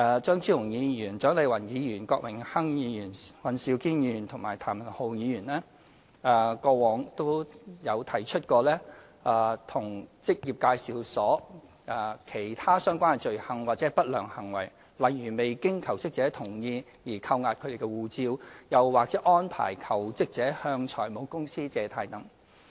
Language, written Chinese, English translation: Cantonese, 張超雄議員、蔣麗芸議員、郭榮鏗議員、尹兆堅議員和譚文豪議員過往都有提出過職業介紹所其他相關的罪行或不良行為，例如未經求職者同意而扣押其護照，又或安排求職者向財務公司借貸等。, Dr Fernando CHEUNG Dr CHIANG Lai - wan Mr Dennis KWOK Mr Andrew WAN and Mr Jeremy TAM have in the past mentioned other offences or malpractices of employment agencies such as withholding passports of jobseekers without their consent or arranging for jobseekers to take out loans from financial institutions